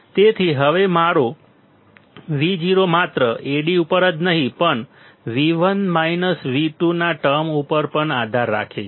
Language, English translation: Gujarati, So, now my Vo will not only depend on Ad but V1 minus V2 term as well